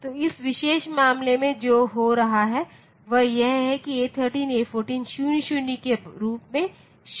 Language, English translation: Hindi, So, in this particular case what is happening is that A13 A14 is remaining as 00